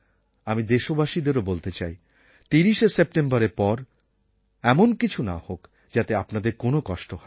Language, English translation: Bengali, I want to say this to the people of the country that we do not wish that after the 30th September anything should happen that will cause difficulties for you